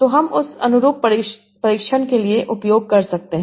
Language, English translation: Hindi, So, you can use that for analogy testing